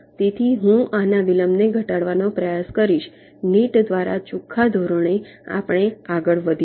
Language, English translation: Gujarati, so i will be trying to minimize the delay of this net like that, on a net by net basis we shall proceed